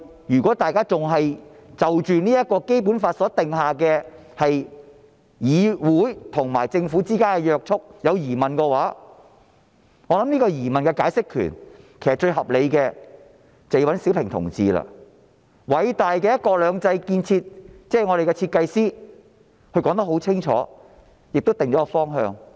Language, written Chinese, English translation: Cantonese, 如果大家就《基本法》中對議會與政府之間的約束有疑問，我相信要對疑問作最合理的解釋，便要找小平同志了，他是偉大的"一國兩制"的設計師，他已說得很清楚，亦定出了方向。, If we have any questions about the checks and balances between the legislature and the Government in the Basic Law I believe we should ask Comrade Xiaoping for the most reasonable explanation . He is the great designer and engineer of one country two systems . He had said very clearly and had also set the direction